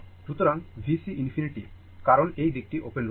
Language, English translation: Bengali, So, V C infinity because this is this side is open